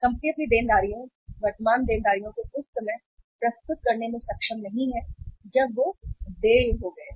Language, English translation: Hindi, The company is not able to serve its liabilities, current liabilities at the time when they became due